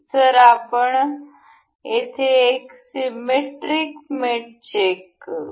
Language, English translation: Marathi, So, let us just check the symmetric mate over here